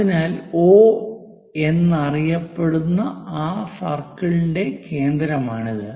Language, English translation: Malayalam, So, this is center of that circle call O